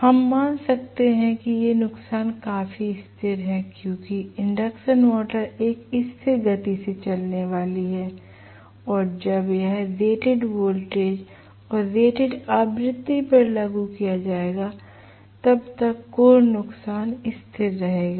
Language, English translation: Hindi, We can assume that these losses are fairly constant because the induction motor is going to run almost at a constant speed and core losses will be constant as long as applied at rated voltage and rated frequency, okay